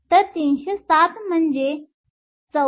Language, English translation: Marathi, So, 307 is 34